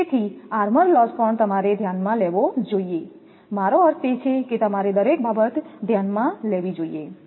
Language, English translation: Gujarati, So, armour loss also you have to consider, I mean everything you have to consider